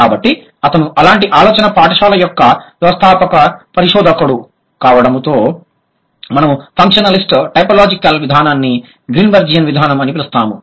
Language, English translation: Telugu, So, he being the founding researcher of such a school of thought, we call functionalist typological approach as Greenbergian approach